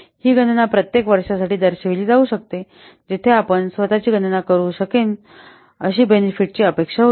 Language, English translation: Marathi, This calculation can be represented for each year where a benefit expected that you can calculate yourself